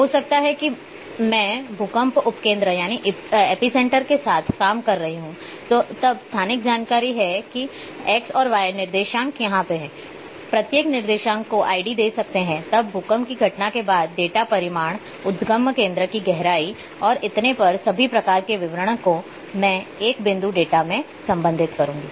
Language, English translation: Hindi, Maybe I am dealing with earthquake epicenters then spatial information that x, y coordinates are here each I can assign id then occurrence of the earthquake maybe, the date maybe the magnitude maybe the depth of focal depth and so on so forth, all kind of details I can get associated with a point data